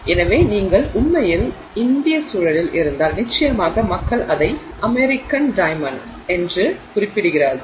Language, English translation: Tamil, So if you actually in the Indian context certainly I mean people refer to it as the American diamond